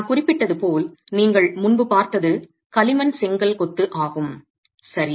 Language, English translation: Tamil, As I mentioned, what you saw earlier is clay brick masonry